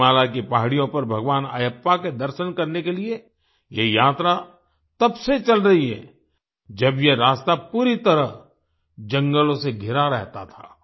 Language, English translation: Hindi, This pilgrimage to seek Darshan of Bhagwan Ayyappa on the hills of Sabarimala has been going on from the times when this path was completely surrounded by forests